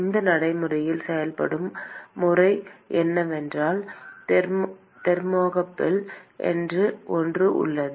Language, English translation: Tamil, The way it is done in practice is that so, there is something called a thermocouple